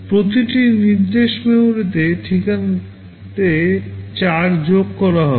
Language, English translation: Bengali, Each instruction will be adding 4 to the memory address